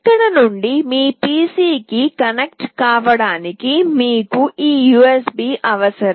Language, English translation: Telugu, For connecting from here to your PC you require this USB